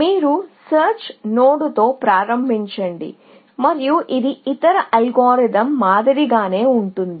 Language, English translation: Telugu, So, you start with a search node and it is very much like the other algorithm that we have seen